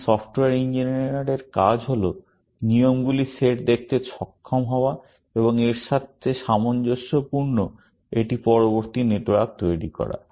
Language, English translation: Bengali, The task of the software engineer here, is to be able to view the set of rules, and construct a latter network corresponding to this, essentially